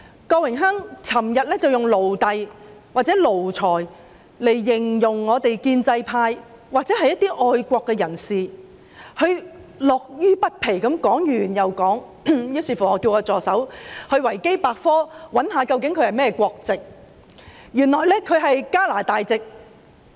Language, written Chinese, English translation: Cantonese, 郭榮鏗議員昨天以"奴隸"或"奴才"來形容我們建制派或一些愛國人士，他樂此不疲，說完又說，於是我叫助手在"維基百科"搜尋他的國籍，原來他是加拿大籍。, Yesterday Mr Dennis Kwok used the word slave or lackey to describe the pro - establishment camp or other patriots . He finds delight in using these terms over and over . I then asked my assistant to search for his nationality on the Wikipedia and found out that he is a Canadian citizen